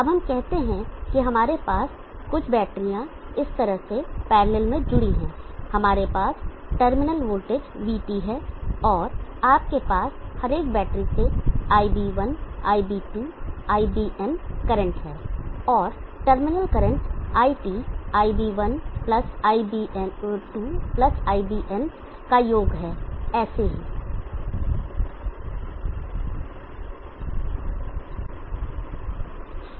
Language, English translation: Hindi, Now let us say that we have few batteries connected like this in parallel, we have the terminal voltage Vt and you have the Ib1, Ib2, Ibn currents from each of the battery and the terminal current It is somehow Ib1+Ib2+Ibn so on